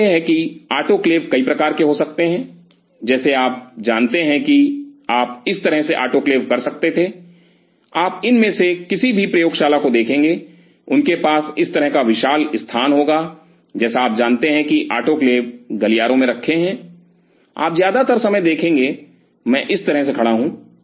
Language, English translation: Hindi, So, it is the autoclaves could be multiple types, like you know you could have autoclaves like this, you will see any of these labs they will have like this huge you know autoclaves sitting on the corridors, you will see most of the time on I stand like this